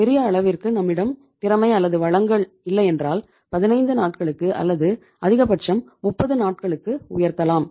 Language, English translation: Tamil, If we donít have, we are not that much efficient and we donít have that much of the resources we can raise it to 15 days or maximum it can be 1 month, 30 days